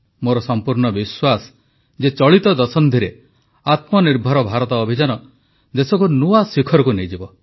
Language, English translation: Odia, I firmly believe that the Atmanirbhar Bharat campaign will take the country to greater heights in this decade